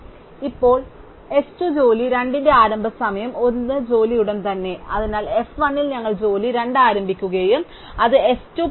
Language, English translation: Malayalam, Now, s 2 the starting time for job 2 is as soon as job 1 ends, so at f 1 we start job 2 and it will end at s 2 plus t 2